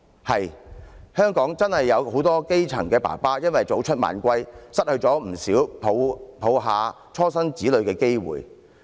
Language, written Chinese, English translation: Cantonese, 是的，香港真的有許多基層父親因為早出晚歸，失去不少懷抱初生子女的機會。, Indeed many grass - roots fathers work long hours and have missed lots of chances to cuddle their newborn babies